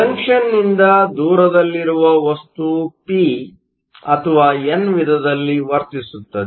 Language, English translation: Kannada, Far away from the junction the material behaves as a p or a n type